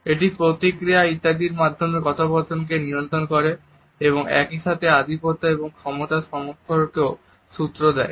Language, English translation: Bengali, It also regulates conversation by providing feedback etcetera and at the same time it also gives cues of dominance and power relationship